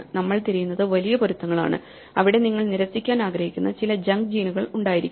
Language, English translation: Malayalam, So, what we are looking for are large matches, where there might be some junk genes in between which you want to discard